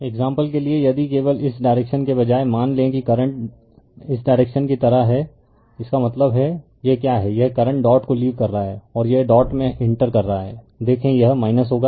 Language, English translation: Hindi, For example, if you if you just instead of this directions suppose current direction is like this so; that means, what it is this is the current the current leaving the dot right and it is entering the dot it will be minus right you have see